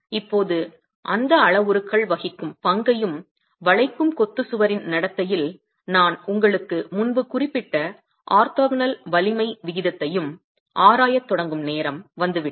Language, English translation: Tamil, Now, time has come when we start examining the role played by those parameters and the orthogonal strength ratio that I mentioned to you earlier in the behavior of the masonry wall in bending